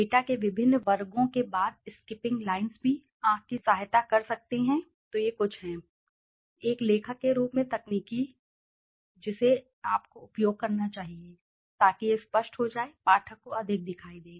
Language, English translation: Hindi, Skipping lines after different sections of the data can also assist the eye so these are something, the techniques as a writer you should use so that it becomes clear, more visible to the reader